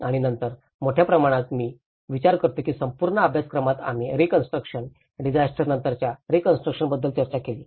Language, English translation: Marathi, And then in a large amount, I think in the whole course we discussed about the reconstruction, the post disaster reconstruction